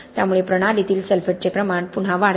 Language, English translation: Marathi, So that again increases the sulphate levels in the system